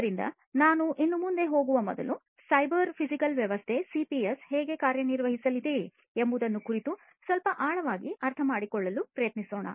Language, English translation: Kannada, So, before I go any further, let us again try to understand in little bit of depth about how this cyber physical system, CPS is going to work right; how the CPS is going to work